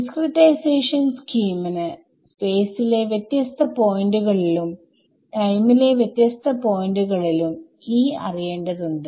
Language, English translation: Malayalam, I have seen that the discretization scheme needs me to know E at different points in space different points in time